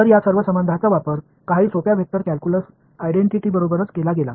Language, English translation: Marathi, So, all of these relations were used along with some simple vector calculus identities right